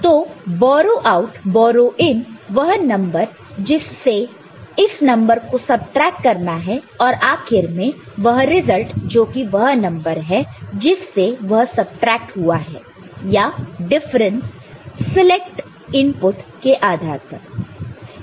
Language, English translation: Hindi, So, borrow out, borrow in, the number from which this number to be subtracted and finally, the result which is number from which it is subtracted or the difference ok, depending on the select input right